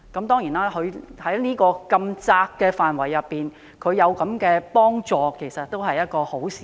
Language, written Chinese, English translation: Cantonese, 當然，在如此狹窄的範圍內提供幫助是一件好事。, Of course it is desirable to provide help within such a narrow range